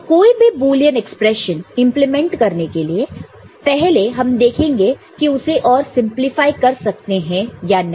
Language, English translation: Hindi, So, that is what you would do, if so required, before implementing any Boolean expression, we shall see whether it can be further simplified